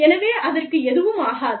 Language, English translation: Tamil, So, nothing will happen to it